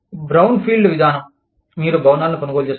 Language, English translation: Telugu, Brownfield approach is, you purchase buildings